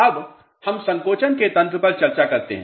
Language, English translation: Hindi, Now, let us discuss the mechanism of shrinkage